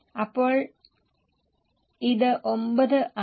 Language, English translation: Malayalam, So, it is 9